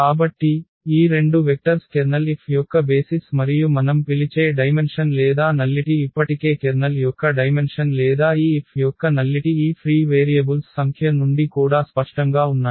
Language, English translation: Telugu, So, these two vectors form the basis of the of the Kernel F and the dimension or the nullity which we call is already there the dimension of the Kernel or the nullity of this F which was clear also from the number of these free variables which are 2 here